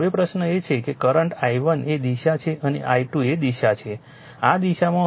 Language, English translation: Gujarati, Now, question is is current i1 is direction and i 2 is direction direction in this direction